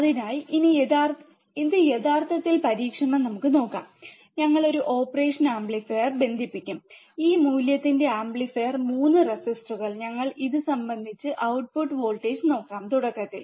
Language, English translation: Malayalam, So, let us see this actually in the experiment, we will connect we will take a operational amplifier 3 resistors of this value, we connect it, and let us see the output voltage initially